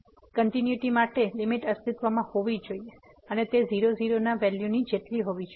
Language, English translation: Gujarati, For continuity, the limit should exist and it should be equal to the value at